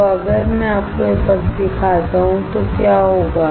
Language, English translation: Hindi, So, what will happen if I show you this side